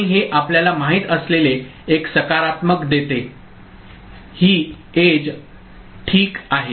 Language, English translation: Marathi, And this is giving a positive you know, this edge triggering ok